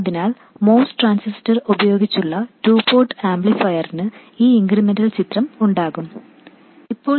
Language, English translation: Malayalam, So, now I said that a 2 port amplifier using a MOS transistor will have this incremental picture, where this is VGS